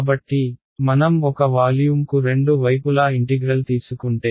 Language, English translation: Telugu, So, if I take a volume integral on both sides